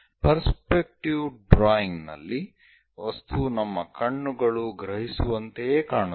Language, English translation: Kannada, In the case of perspective drawing, the object more like it looks more like what our eyes perceive